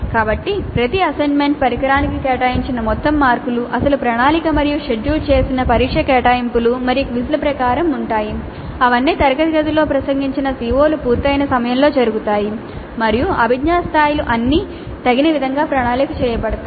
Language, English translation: Telugu, So the total marks allocated to each assessment instrument are as per the original plan and the scheduled test assignments and quizzes they all occur at a time by which the addressed CEOs have been completed in the classrooms and the cognitive levels are all appropriately planned